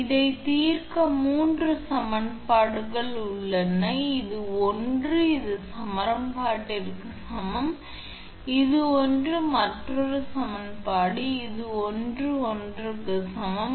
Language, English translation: Tamil, So solve this is three equation actually; this one is equal to this one equation, this one is equal to this one another equation and this one is equal to this one another equation